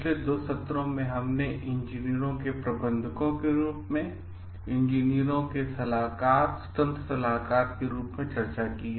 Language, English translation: Hindi, In the past 2 sessions, we have discussed about engineers as managers, engineers as consultants, independent consultants